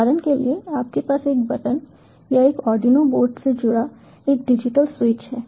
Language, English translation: Hindi, for example, you have a button or a digital switch connected to a arduino board